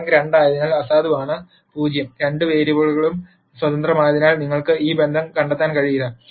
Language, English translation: Malayalam, Since the rank is 2, nullity is 0 and because both the variables are independent you cannot nd a relationship